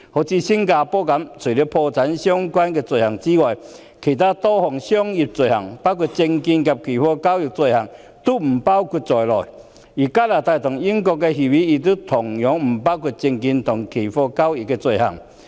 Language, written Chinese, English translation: Cantonese, 以新加坡為例，除了破產相關的罪行外，其他多項商業罪行，包括證券及期貨交易的罪行，都不包括在內；而香港與加拿大和英國簽訂的協定同樣不包括證券及期貨交易的罪行。, Take our SFO agreement with Singapore as an example . With the exception of bankruptcy - related offences many other commercial offences including offences relating to securities and futures trading have not been included . Similarly offences relating to securities and futures trading have been excluded from our agreements with Canada and the United Kingdom